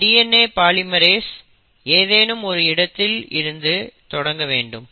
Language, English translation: Tamil, So what happens here is all that DNA polymerase needs is somewhere to start